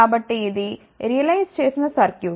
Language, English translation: Telugu, So, this was the realized circuit